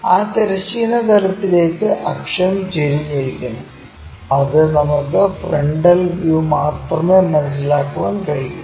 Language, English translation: Malayalam, And axis is inclined to that horizontal plane which we can sense it only in the front view